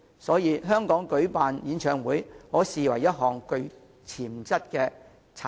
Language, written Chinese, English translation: Cantonese, 所以，舉辦演唱會其實是甚具潛質的產業。, Therefore organizing concerts is actually an industry with potential